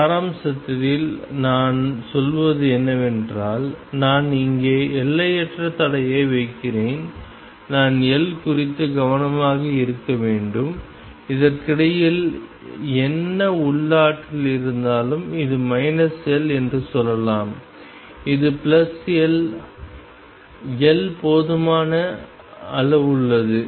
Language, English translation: Tamil, In essence what I am saying is I am putting infinite barrier here and whatever the potential does in between what I have to be careful about is that L, this is let us say minus L this is plus L, L is large enough